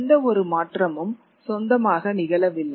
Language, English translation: Tamil, No single change stood on its own